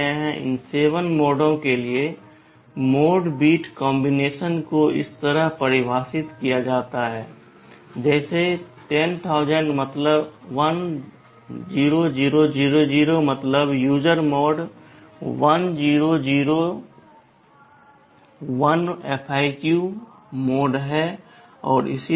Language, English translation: Hindi, For these 7 modes, the mode bit combinations are defined like this 10000 the means user mode, 10001 is FIQ mode, and so on